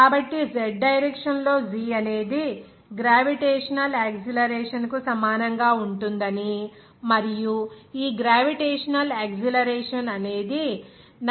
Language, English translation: Telugu, So, in the z direction, we can say that that g will be equal to gravitational acceleration and this gravitational acceleration will be equal to 9